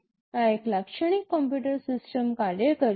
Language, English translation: Gujarati, This is how a typical computer system works